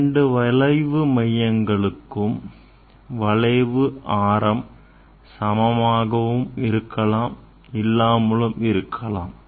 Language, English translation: Tamil, having the same curvature both curve will have the same curvature radius of curvature